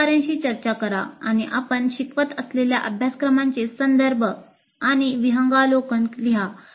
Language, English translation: Marathi, Discuss with colleagues and write the context and overview of the courses that you teach